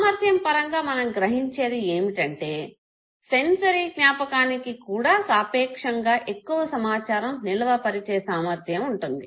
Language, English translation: Telugu, In terms of capacity we realized that sensory memory also has a relatively large no capacity in terms of storing information and at least